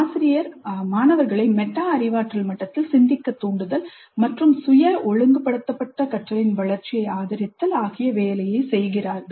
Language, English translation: Tamil, Promps learners to think at metacognitive level and supports the development of self regulated learning